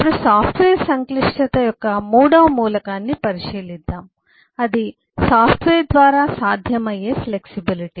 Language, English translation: Telugu, now let us look into the third element of eh: software, eh, complexity, that is, flexibility, through possible, through software